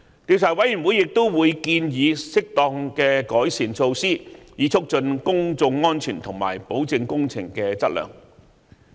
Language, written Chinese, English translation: Cantonese, 調查委員會亦會建議適當的改善措施，以促進公眾安全及保證工程質量。, The Commission will also make recommendations on suitable measures with a view to promoting public safety and assurance on the quality of works